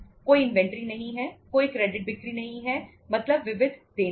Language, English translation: Hindi, There is no inventory, there is no credit sales means sundry debtors